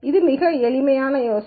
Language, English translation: Tamil, It is a very simple idea